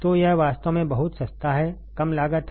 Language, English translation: Hindi, So, it is really cheap very cheap low cost right